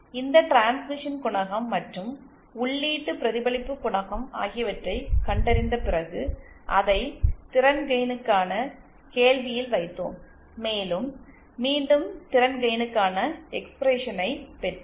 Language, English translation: Tamil, And then after finding out this transmission coefficient and the input reflection coefficient, we plugged it in the question for the power gain and we derived the expression for the power again